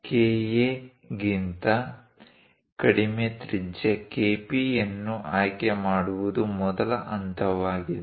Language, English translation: Kannada, The first step is choose a radius KP less than KA